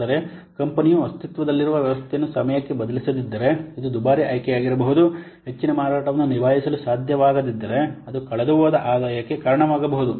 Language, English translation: Kannada, But if the company will not replace the existing system in time, that could be this could be an expensive option as it could lead to lost revenue